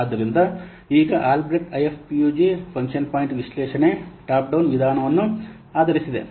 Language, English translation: Kannada, So this Albreast IFPUG function point analysis is based on a top down approach